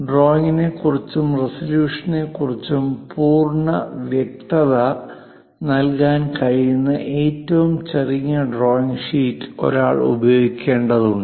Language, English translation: Malayalam, One has to use the smallest drawing sheet , which can give complete clarity about the drawing and resolution; that is the best drawing sheet one has to use